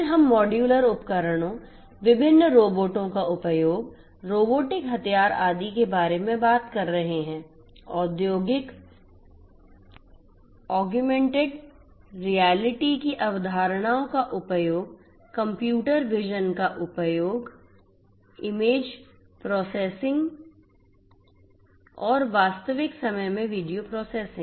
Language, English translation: Hindi, Then we are talking about modular equipments use of modular equipments, use of different robots, robotic arms, etcetera, use of concepts of industrial augmented reality, use of computer vision computer vision, image processing and video processing in real time and so on